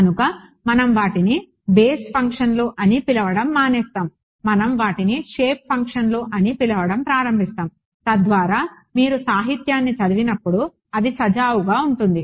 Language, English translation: Telugu, So, we will stop calling them basis functions now we will we start calling them shape functions so that when you read the literature it is smooth right